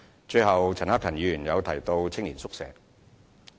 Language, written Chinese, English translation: Cantonese, 最後，陳克勤議員提到青年宿舍。, Lastly the youth hostels mentioned by Mr CHAN Hak - kan are gradually making progress